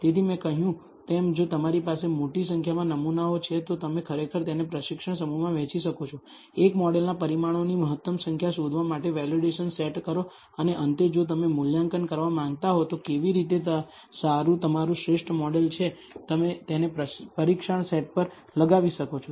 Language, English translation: Gujarati, So, as I said, if you have large number of amount of samples, then you can actually divide it into a training set, a validation set for finding the optimal number of parameters of a model and finally, if you want to assess, how good your optimal model is you can run it on a test set